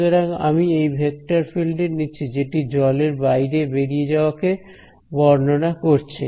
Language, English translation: Bengali, So, I take this vector field a which is representing water flow